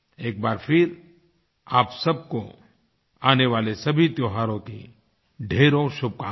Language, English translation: Hindi, Once again, my best wishes to you all on the occasion of the festivals coming our way